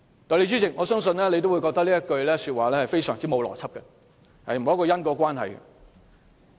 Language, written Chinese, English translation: Cantonese, "代理主席，相信你也會認為他這句話相當欠邏輯，沒有因果關係。, Deputy President I believe you also consider that his words lack logic and causal relationship